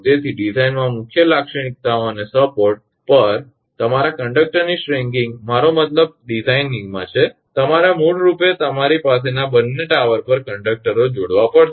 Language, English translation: Gujarati, So the main features in the design and your stringing of conductors on the support are I mean in the design and you are basically you have to you have to connect the you are have to conductors on the both the towers